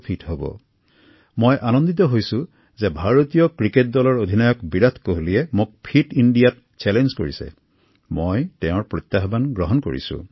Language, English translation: Assamese, For me, it's heartwarming that the captain of the Indian Cricket team Virat Kohli ji has included me in his challenge… and I too have accepted his challenge